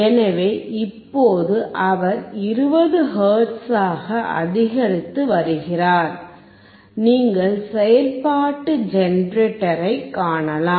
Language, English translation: Tamil, So now, he is increasing to 20 hertz, you can see the function generator